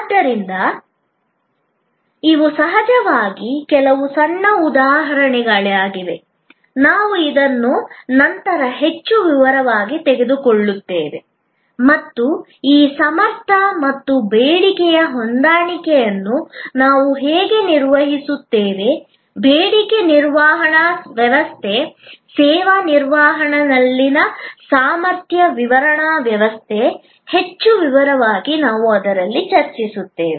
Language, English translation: Kannada, So, these are some little examples of course, we will take this up in more detail later on and how we manage these capacity and demand mismatch, the demand managements system, the capacity management system in service management, we will discuss in that more detail